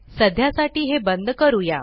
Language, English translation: Marathi, For now lets switch it off